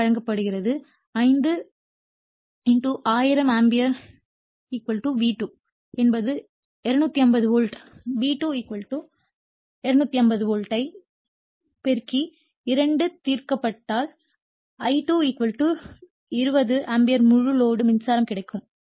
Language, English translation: Tamil, So, this 5 KVA is given so, 5 * 1000 ampere = V2 is to 250 volt we got V2 = 250 volt * I2 prominence if you solve you will get I2 = 20 ampere the full load current